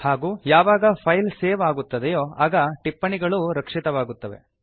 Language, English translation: Kannada, And when the file is saved, the comments are incorporated